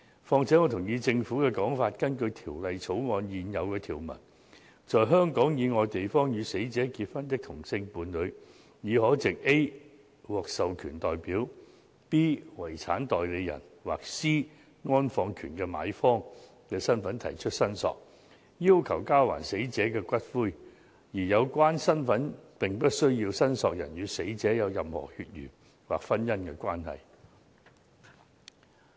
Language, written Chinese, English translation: Cantonese, 此外，我同意政府的說法，根據《條例草案》現有條文，在香港以外地方與死者結婚的同性伴侶，已可藉 a "獲授權代表"、b "遺產代理人"或 c "安放權的買方"的身份提出申索，要求交還死者的骨灰，而有關身份不需要申索人與死者有任何血緣或婚姻關係。, In addition I agree with the Government that under the existing provisions of the Bill if a same - sex partner married the deceased outside Hong Kong heshe is entitled to claim for the return of the deceaseds ashes in the capacity of a an authorized representative b a personal representative or c the purchaser of interment rights and the claimant does not need to be a relative of the deceased by blood or marriage